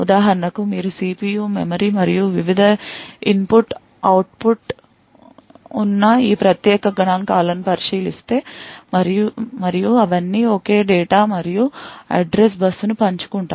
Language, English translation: Telugu, For example, if you look at these particular figures where you have the CPU, memory and the various input output and all of them share the same data and address bus